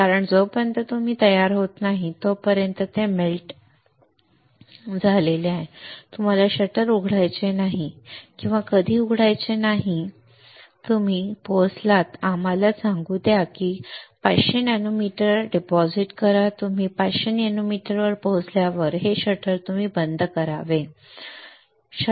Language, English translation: Marathi, Because until you are ready that this has been melted you do not want to open the shutter or when you reach let us say you one to deposit 500 nanometer when you reach 500 nanometer this shutter you should close it this is shutter right